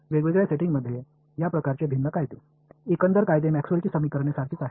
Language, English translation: Marathi, These different kind of different laws for different settings, the overall laws are the same which are Maxwell’s equations